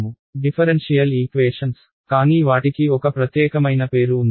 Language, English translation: Telugu, Differential equations, but a little bit small special name for it